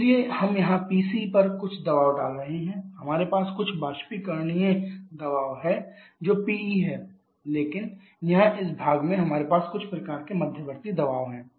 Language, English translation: Hindi, So, we are having some pressure here PC here we having some intermediate sorry you have water which are PE but here at this portion we have some kind of intermediate pressure